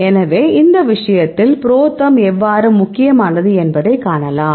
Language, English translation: Tamil, So, this will tell the how the ProTherm is a important in this case